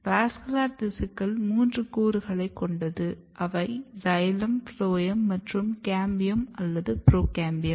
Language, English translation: Tamil, And, basically the vascular tissues have three different components xylem, phloem and cambium or procambiums